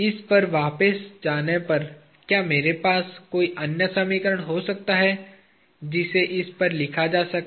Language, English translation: Hindi, Going back to this, can I have any other equation that can be written on this